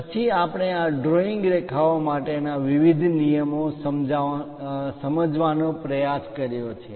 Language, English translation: Gujarati, Then we have tried to look at different rules for this drawing lines